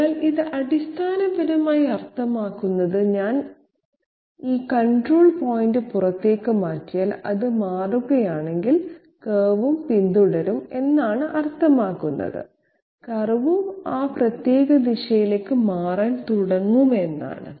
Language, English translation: Malayalam, So it basically means that if I shift this control point outwards okay, if it shifts, then the curve will also follow through that means the curve will also start getting shifted in that particular direction